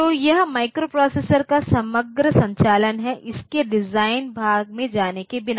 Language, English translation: Hindi, So, this is the overall operation of the microprocessor without going into the design part of it